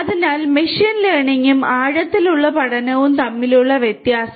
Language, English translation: Malayalam, So, difference between machine learning and deep learning